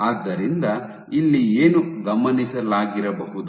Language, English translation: Kannada, So, what has been observed